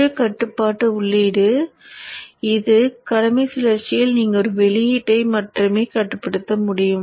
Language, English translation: Tamil, In such a case with one control input which is the duty cycle you can control only one output